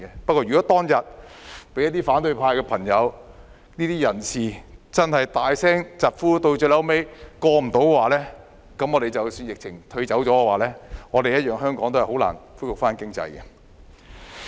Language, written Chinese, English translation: Cantonese, 不過，如果當年因反對派朋友或人士大聲疾呼，以致這項安排最後沒有通過的話，這樣即使疫情退卻，香港經濟一樣難以恢復。, Had the arrangement been negatived due to the strong opposition by members of the opposition camp it would still be hard for the economy to recover even if the epidemic subsided